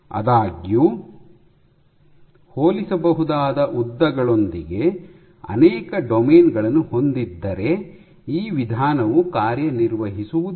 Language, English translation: Kannada, This approach would not work if multiple domains have comparable lengths